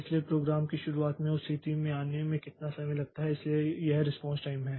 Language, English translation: Hindi, So, from the beginning of the program how much time it takes to come to that stage so that is the response time